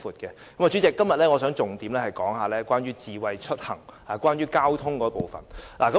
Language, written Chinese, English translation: Cantonese, 代理主席，我今天想重點討論智慧出行，即關於交通的部分。, Today Deputy President I would like to focus on discussing smart mobility or transport